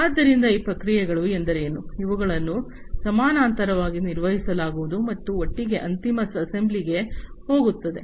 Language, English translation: Kannada, So, what we mean is these processes you know, they are going to be performed in parallel and together will get into the final assembly